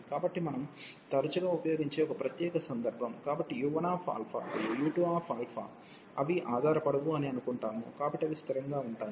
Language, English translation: Telugu, So, a particular case which we often use, so we assume that u 1 alpha and u 2 alpha, they do not depend on alpha, so they are constant